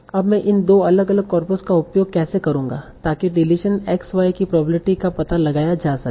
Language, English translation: Hindi, Now, how will I use these two different copra to find out the probability of deletion xy